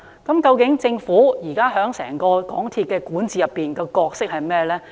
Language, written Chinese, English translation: Cantonese, 究竟現時政府在整個港鐵公司管治的角色為何呢？, What role is the Government playing in the governance of MTRCL?